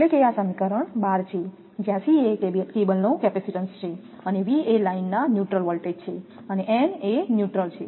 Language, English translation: Gujarati, So, this is equation 12 where C is the capacitance of the cable and V is the line to neutral voltage, it is N stands for neutral